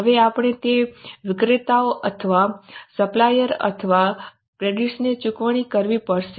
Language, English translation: Gujarati, Now, we have to pay those vendors or suppliers or creditors